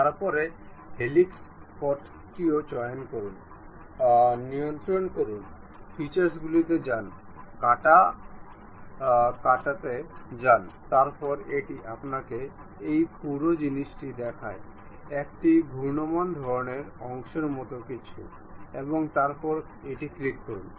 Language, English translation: Bengali, Then pick the helix path also, control, go to features, go to swept cut, then it shows you this entire thing something like revolving kind of portion, and then click ok